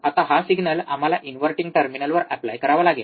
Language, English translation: Marathi, Now this signal we have to apply to the inverting terminal